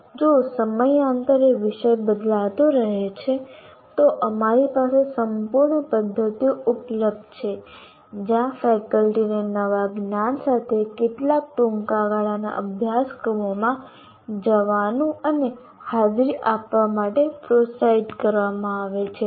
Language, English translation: Gujarati, And if the subject matter is changing from time to time, we have a whole bunch of mechanisms available where faculty are encouraged to go and attend some short term courses with the new knowledge that they need to have